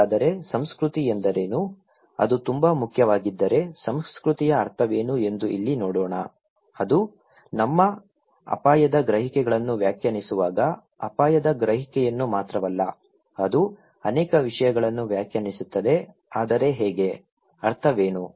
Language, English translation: Kannada, So, what is culture then, if it is so important, let us look here that what is the meaning of culture, when it is defining our risk perceptions, not only risk perception, it defines many things but how, what is the meaning of culture and how the impulse control and shape our risk perceptions